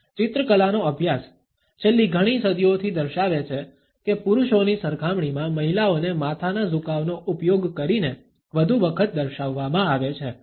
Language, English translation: Gujarati, A studies of paintings, over the last several centuries show that women are often depicted more using the head tilt in comparing to men